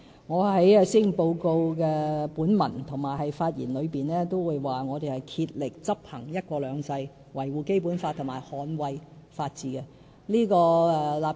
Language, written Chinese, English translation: Cantonese, 我在施政報告本文和發言中均已表示，我們會竭力執行"一國兩制"，維護《基本法》和捍衞法治。, I have stated in both the Policy Address and my speech that we will strive to implement one country two systems uphold the Basic Law and safeguard the rule of law